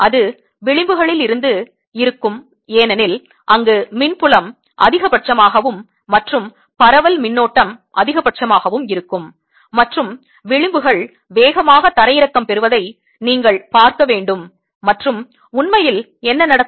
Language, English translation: Tamil, it will from the edges, because that is where electric field is maximum and that is where the current of diffusion would be maximum, and you should see the edges getting brown faster, and that is indeed what happens, right